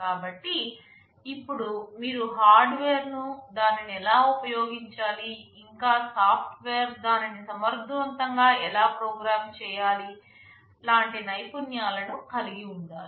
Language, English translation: Telugu, So, now you need to have the expertise of knowing the hardware, how to use it and also software how to program it in an efficient way